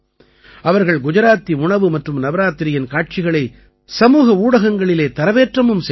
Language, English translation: Tamil, They also shared a lot of pictures of Gujarati food and Navratri on social media